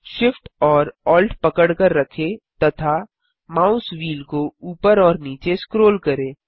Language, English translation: Hindi, Hold Shift, Alt and scroll the mouse wheel up and down